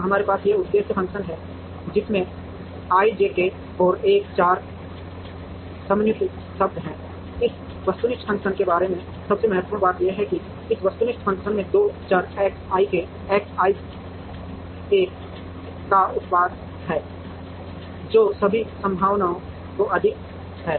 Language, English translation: Hindi, So, we have this objective function which has four summation terms over i j k and l, the most important thing about this objective function is that, this objective function has a product of two variables X i k X j l summed over all possibilities